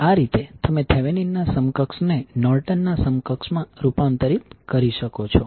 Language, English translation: Gujarati, So in this way you can convert Thevenin’s equivalent into Norton’s equivalent